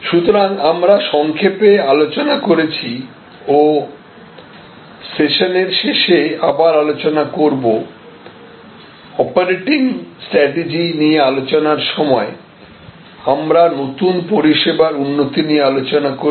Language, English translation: Bengali, So, therefore, we had briefly discussed and I will discuss at the end of this session, while discussing the operating strategies, I did discuss about new service development